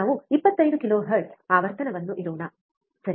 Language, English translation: Kannada, Let us keep frequency of 25 kilohertz, alright